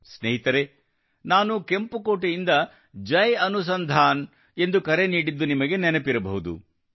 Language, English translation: Kannada, Friends, you may remember, I had called for 'Jai Anusandhan' from the Red Fort